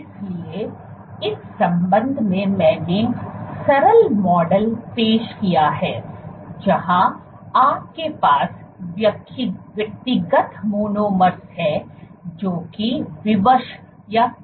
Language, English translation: Hindi, So, in that regard I had introduced the simple model where you have individual monomers, which is constrained